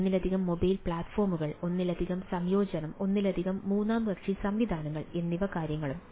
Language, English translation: Malayalam, multiple mobile platforms, multiple integration, multiple third party systems and type of things